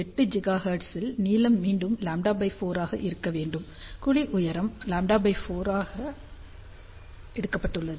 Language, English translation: Tamil, 8 gigahertz, again the length should be around lambda by 2 the cavity height has been taken as lambda by 4